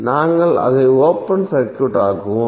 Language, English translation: Tamil, So we will simply make it open circuit